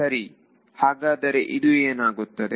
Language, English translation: Kannada, So, what will this be